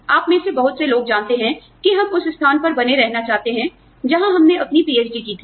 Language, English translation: Hindi, Many of us, you know, would like to continue in the place, where we earned our PhD